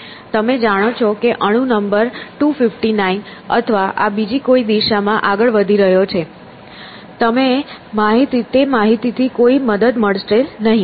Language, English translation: Gujarati, You know that atom number 259 is moving in this direction or something, does not help